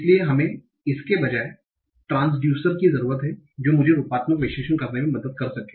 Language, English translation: Hindi, So we need instead transducers that can help me do morphological analysis